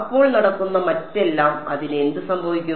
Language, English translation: Malayalam, So, everything else that is going what happens to it